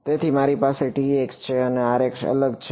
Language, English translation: Gujarati, So, I have T x and R x are different